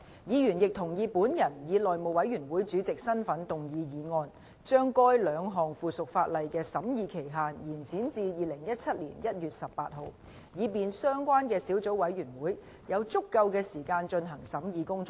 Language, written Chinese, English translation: Cantonese, 議員亦同意本人以內務委員會主席的身份動議議案，將該兩項附屬法例的審議期限延展至2017年1月18日，以便相關的小組委員會有足夠的時間進行審議工作。, Members also agreed that I shall in my capacity as Chairman of the House Committee move a motion to extend the scrutiny period for the two pieces of subsidiary legislation to 18 January 2017 so as to allow sufficient time for scrutiny by the Subcommittee